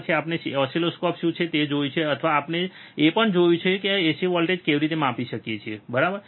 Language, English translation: Gujarati, Then we have seen what is oscilloscopes, or we have also seen how we can measure the ac voltage, right